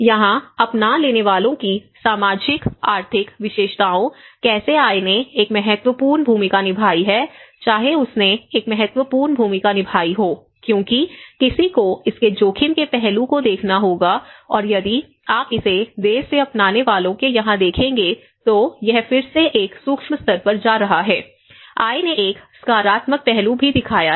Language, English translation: Hindi, And again, here the socio economic characteristics of the adopters, how income has played an important role, whether it has played an important role because someone has to look at the affordability aspect of it and again, if you look at it here in the late adopters, it is again at a micro level, it is going, the income has also shown a positive aspect